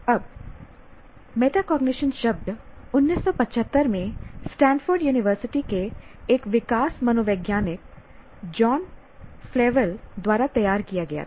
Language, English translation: Hindi, Now, the word metacognition was coined by John Flaville, a developmental psychologist from Stanford University in 1975